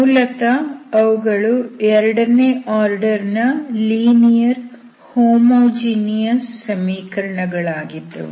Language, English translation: Kannada, So basically homogeneous equations of second order linear equations